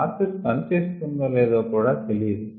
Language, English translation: Telugu, we don't even know whether the process is going to work